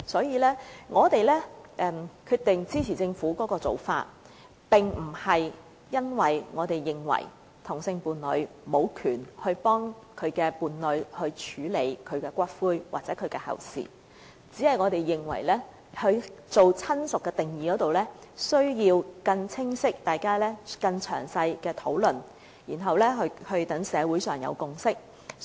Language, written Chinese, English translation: Cantonese, 因此，我們決定支持政府的建議，這並不表示我們認為同性伴侶無權替其伴侶處理骨灰或後事，我們只是認為，在"親屬"定義上，大家需要有更清晰、更詳細的討論，然後讓社會建立共識。, Hence we decide to support the Governments proposals . However that does not mean we do not recognize the right of the same - sex partner of the deceased person to handle the ashes or arrange for the funeral of the deceased person . We only think that the definition of relative needs clearer and more thorough discussions so as to forge a consensus in society